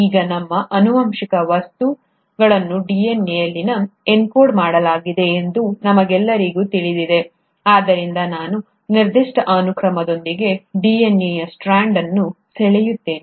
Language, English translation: Kannada, Now, we all know that our genetic material is encoded in DNA, so let me just draw a strand of DNA with a certain sequence